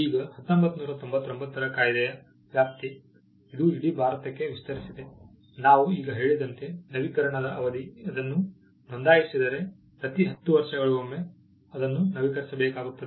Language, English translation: Kannada, Now the jurisdiction of the 1999 act, it extends to the whole of India, the term of renewal as we just mentioned, if it is registered, it can be renewed every 10 years